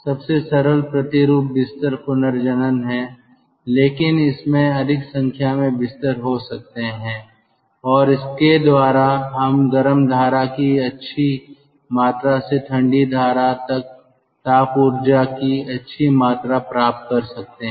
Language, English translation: Hindi, the simplest is the twin bed regenerator, but there could be more number of beds and by that we can get a good amount of heat exchange or good amount of thermal energy recovery from the hot stream to the cold stream